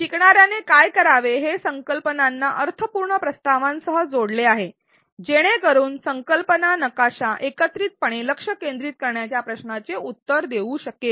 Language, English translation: Marathi, What the learner has to do is to connect the concepts with meaningful propositions, so that together the concept map can answer the focus question